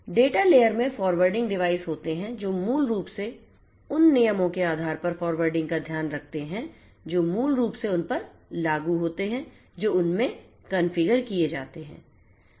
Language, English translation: Hindi, There are forwarding devices in the data layer which basically takes care of mere forwarding based on the rules that are basically implemented in them that are configured in them